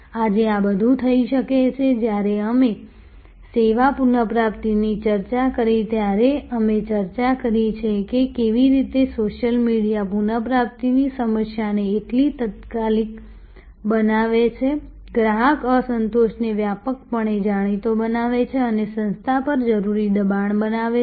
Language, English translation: Gujarati, Today, all these can, we have discussed when we discussed service recovery, how social media makes the recovery problem so immediate, makes the customer dissatisfaction known widely and creates the necessary pressure on the organization